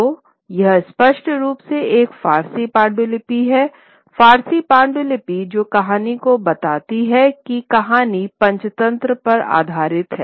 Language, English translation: Hindi, But this is very clearly a Persian manuscript which tells the story based on the story of the Panchitantra